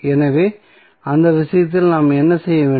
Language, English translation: Tamil, So, what we have to do in that case